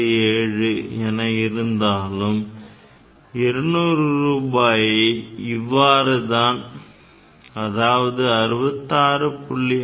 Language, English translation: Tamil, So, you can divide this 200 rupees like this 66